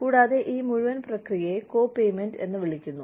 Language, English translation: Malayalam, And, this whole process is called copayment